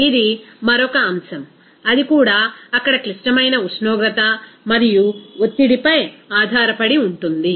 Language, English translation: Telugu, This some another factor, that also is depending on critical temperature and pressure there